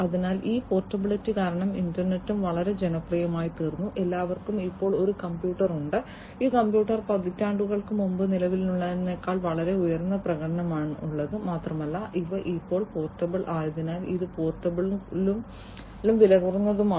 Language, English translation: Malayalam, So, because of this portability the internet has also become very popular, everybody now owns a computer, these computers are very high performing than what is to exist several decades back, and also because these are portable now it is possible portable and cheap also these computers are very much cheap